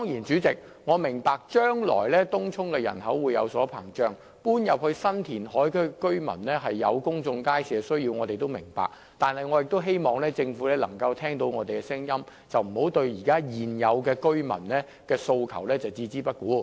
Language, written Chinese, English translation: Cantonese, 主席，我當然明白東涌人口會不斷膨脹，以及搬往新填海區的居民對公眾街市的需求，但我也希望政府能夠聽到我們的聲音，不應對現有居民的訴求置之不顧。, President I certainly understand that the population in Tung Chung will expand and the demand of future residents in the new reclamation area for a public market . But I still hope the Government can heed our voices instead of turning a deaf ear to the aspirations of the existing residents